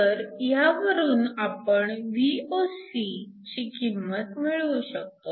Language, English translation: Marathi, So, from this, we can calculate the value of Voc